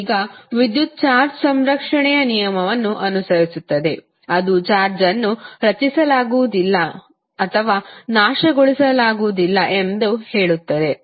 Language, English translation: Kannada, Now, the electric charge follows the law of conservation, which states that charge can neither be created nor can be destroyed